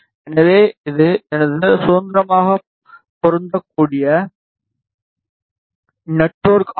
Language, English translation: Tamil, So, this is my independent matching network